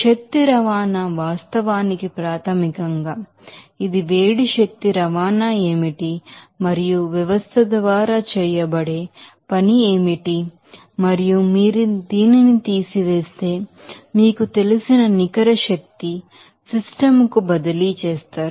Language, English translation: Telugu, So, energy transport actually basically, it will be what will be the heat energy transport and what will be the work done by the system and if you subtract this you will get that net energy you know transferred to the system